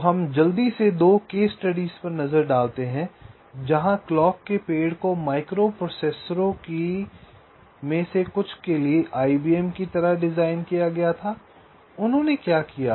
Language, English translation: Hindi, ok, so we quickly look at two case studies where the clock trees were designed like i, b, m for some of the microprocessors